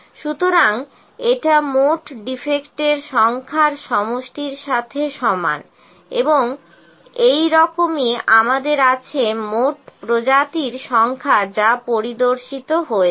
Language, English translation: Bengali, So, this is equal to sum of total number of defects, and similar to this we have total number of species which are inspected